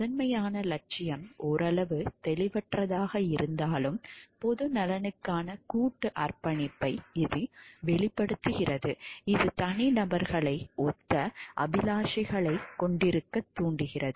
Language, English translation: Tamil, Although this paramount ideal is somewhat vague it expresses a collective commitment to the public good that inspires individuals to have similar aspirations